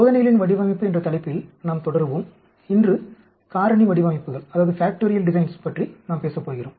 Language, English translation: Tamil, We will continue on this topic of design of experiments, we are going to talk about factorial designs today